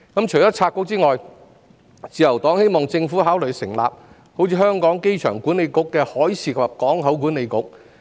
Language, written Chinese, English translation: Cantonese, 除拆局外，自由黨希望政府考慮成立類似香港機場管理局的海事及港口管理局。, In addition to splitting the Bureau the Liberal Party hopes that the Government considers setting up a Marine and Port Authority similar to the Airport Authority Hong Kong